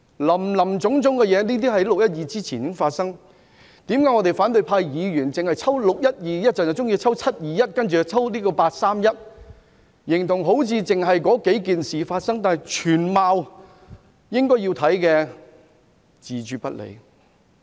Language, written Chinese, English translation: Cantonese, 林林總總的事情在"六一二"事件之前已經發生，為何反對派議員只抽取"六一二"事件、"七二一"事件或"八三一"事件出來調查，好像只發生了那數件事，但對於全貌卻置諸不理？, All sorts of things happened long before the 12 June incident but why do opposition Members only choose to inquire into the 12 June incident the 21 July incident or the 31 August incident as if only such incidents took place while being indifferent to the whole picture?